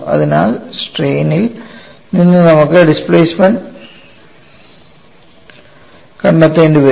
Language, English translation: Malayalam, So, from strains we will have to find out the displacement